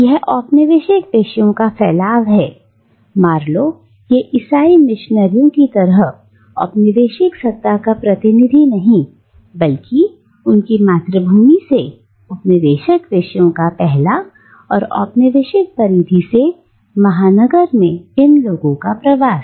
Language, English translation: Hindi, And this is the dispersion of the colonised subjects, not the representative of colonial power like Marlow or the Christian missionaries, but the dispersion of colonised subjects from their homelands and the migration of these people from the colonial periphery to the metropolis